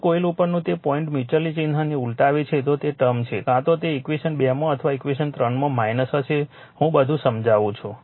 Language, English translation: Gujarati, If that dot on one coilreverse the sign of the mutual, they you are the term either in equation 2 or in equation 3 will be minus I explain everything to you